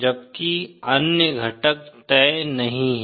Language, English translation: Hindi, Whereas the other components are not fixed